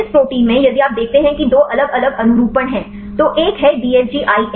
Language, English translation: Hindi, So, in this protein if you see there are two different conformations one is the DFG IN